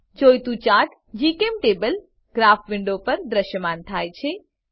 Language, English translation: Gujarati, The required chart is displayed on GChemTable Graph window